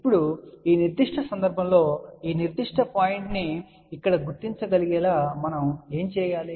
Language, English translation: Telugu, Now, in this particular case, what we can do that we can locate this particular point over here